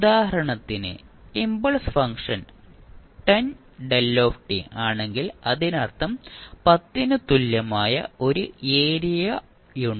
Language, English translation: Malayalam, Say for example if the impulse function is 10 delta t means it has an area equal to 10